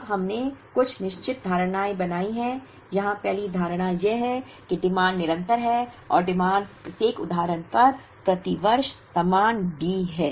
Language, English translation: Hindi, Now, we made certain assumptions here the first assumption of course is that, the demand is continuous and the demand is the same D per year at every instance